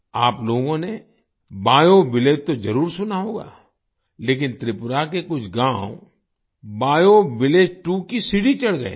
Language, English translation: Hindi, You must have heard about BioVillage, but some villages of Tripura have ascended to the level of BioVillage 2